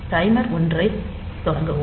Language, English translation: Tamil, So, start timer 1